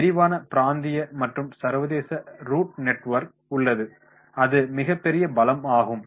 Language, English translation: Tamil, Extensive regional and international route network is there that is about the strength